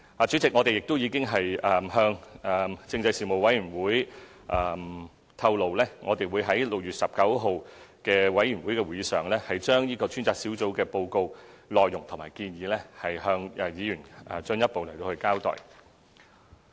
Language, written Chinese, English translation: Cantonese, 主席，我們已向政制事務委員會透露，我們會在6月19日的事務委員會會議上，把專責小組的報告內容和建議，向議員進一步交代。, President the Panel on Constitutional Affairs have been informed that we will further provide Members with an account of the content and recommendations of the report produced by the Task Force on the Panel meeting to be held on 19 June